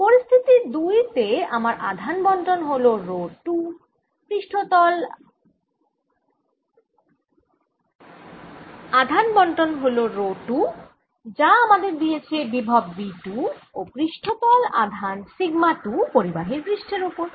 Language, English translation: Bengali, i have situation two here in which i have charge distribution, rho two, which gives me potential v two, and surface charge sigma two on the conductor